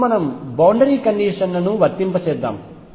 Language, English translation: Telugu, Now let us apply boundary conditions